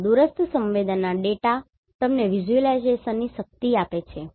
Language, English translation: Gujarati, Plus, remote sensing data gives you the power of visualization